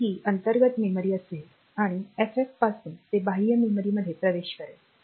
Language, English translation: Marathi, So, that much will be internal memory and from FF onwards